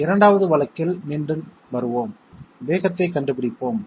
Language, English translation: Tamil, Coming back in the 2nd case, let us find out the speed